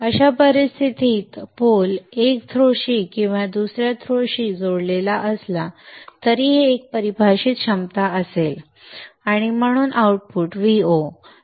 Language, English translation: Marathi, In such a case the pole whether it is connected to one throw or the other will have a defined potential and therefore the output V0